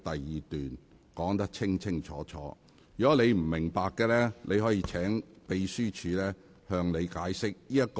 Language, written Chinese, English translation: Cantonese, 如果你不明白，可以請秘書處向你解釋。, If you do not understand it you may ask the Secretariat to explain it to you